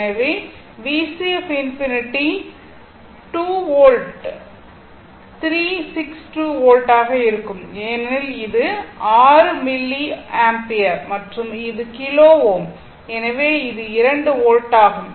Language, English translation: Tamil, So, V C infinity will be 2 volt right 3 6 2 volt right because it is 6 is your milliampere and this is kilo ohm so it is 2 volt